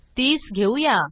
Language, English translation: Marathi, Lets say 30